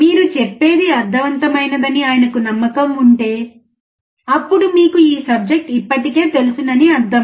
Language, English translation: Telugu, If he is convinced that what you are telling makes sense, then it means you already know the subject